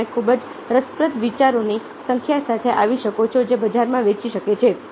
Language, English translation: Gujarati, come up with the number of very interesting ideas which can sell in the market